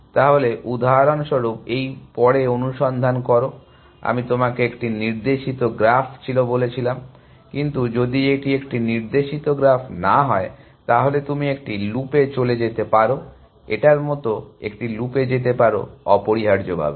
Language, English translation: Bengali, So, if you have for example, search after this is, this I told you was a directed graph, but if this one not a directed graph, then you could have gone into a loop keep going in a loop like this essentially